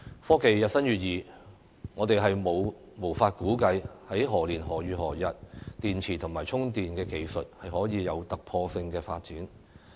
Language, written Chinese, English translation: Cantonese, 科技日新月異，我們無法估計電池及充電技術在何年何月何日會有突破性的發展。, With the advancement of technology there is no telling that when there will be a breakthrough in battery and charging technologies